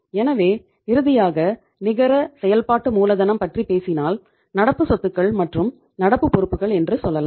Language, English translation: Tamil, So net working capital finally, if you talk about the net working capital you say that current assets and current liabilities